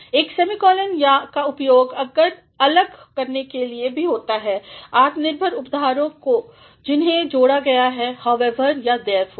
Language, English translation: Hindi, A semicolon is also used to separate independent clauses which are joined either by however and therefore